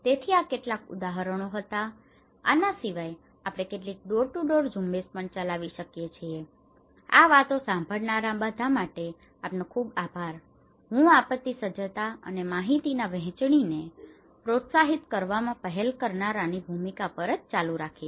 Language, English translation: Gujarati, So, these are some of the; also we can conduct some door to door campaign with this so, thank you very much for all listening this talk, I will continue in same on this and the role of pioneer adopters on promoting disaster preparedness and information sharing